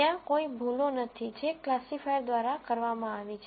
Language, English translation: Gujarati, There are no mistakes that have been made by the classifier